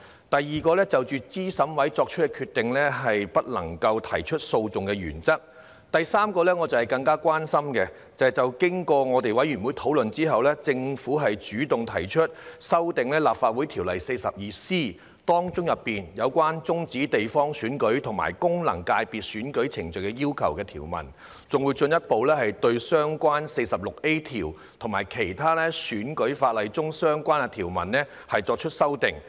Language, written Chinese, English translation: Cantonese, 第三，這是我更加關心的，就是經過《2021年完善選舉制度條例草案》委員會討論之後，政府主動提出修訂《立法會條例》第 42C 條中有關"終止地方選區及功能界別選舉程序的要求"的條文，更會進一步對相關的第 46A 條及其他選舉法例中的相關條文作出修訂。, Third which is of greater concern to me after discussion by the Bills Committee on Improving Electoral System Bill 2021 the Government has taken the initiative to amend the provisions relating to the requirements to terminate election proceedings for geographical constituencies and functional constituencies under section 42C of the Legislative Council Ordinance . Further amendments would also be made to the related section 46A and the relevant provisions in other electoral legislation